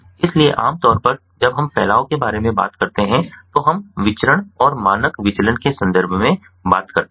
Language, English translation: Hindi, so typically, you know, we, when we talk about dispersion, we typically talked about in terms of variance and standard deviation